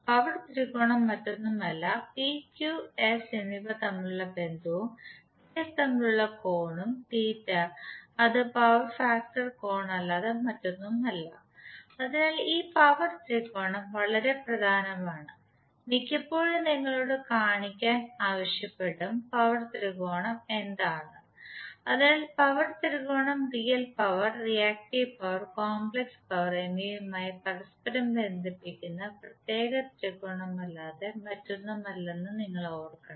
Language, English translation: Malayalam, Power triangle is nothing but the relationship between P, Q and S and the angle between P and S is the theta degree which is nothing but the power factor angle, so this power tangle is very important and most of the time you will be asked to show what is the power triangle, so you should remember that the power tangle is nothing but this particular triangle where we co relate real power, reactive power and the complex power